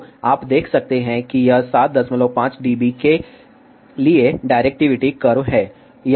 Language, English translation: Hindi, So, you can see that this is the directivity curve for 7